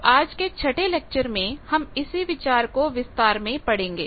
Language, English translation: Hindi, Now this concept we will see in this today's 6th lecture in detail